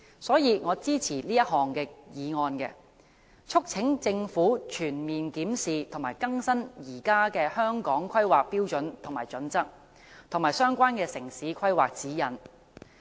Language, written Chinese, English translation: Cantonese, 所以，我支持這項議案，促請政府全面檢視和更新現時的《香港規劃標準與準則》和相關的城市規劃指引。, Therefore I support this motion urging the Government to comprehensively review and update the existing Hong Kong Planning Standards and Guidelines HKPSG and the relevant town planning guidelines